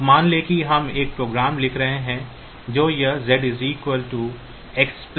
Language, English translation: Hindi, Now suppose we are writing a program that will be doing this Z equal to X plus Y